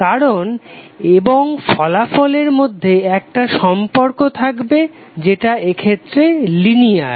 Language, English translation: Bengali, So the cause and effect will be having the relationship, which is linear in this case